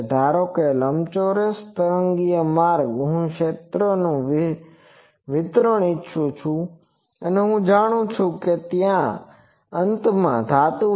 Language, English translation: Gujarati, Suppose in a rectangular waveguide I want the field distribution I know that at the ends there are metal